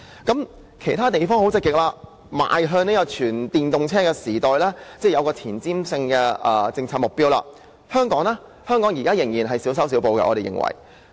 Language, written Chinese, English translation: Cantonese, 當其他地方積極邁向全電動車時代，擁有前瞻性政策目標時，香港卻仍然在小修小補。, While other places are actively preparing for the coming EV era and have put in place forward - looking policy objectives Hong Kong is still making petty changes